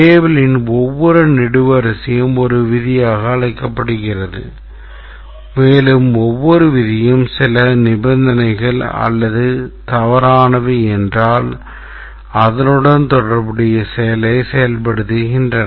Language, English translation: Tamil, Each column of the table is called as a rule and each rule implies that if certain conditions are true then execute the corresponding action